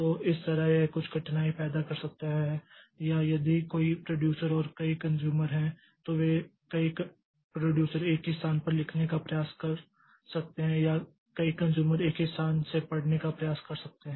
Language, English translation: Hindi, So, that way it may create some difficulty or there are if there are multiple producers and multiple consumers then they the multiple producers may try to write onto the same location or multiple consumers may try to read from the same location